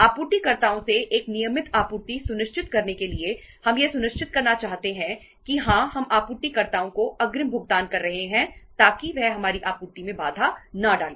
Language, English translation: Hindi, To ensure a regular supply from the suppliers we want to make sure that yes we are making advance payments to the suppliers so that he is not interrupting our supply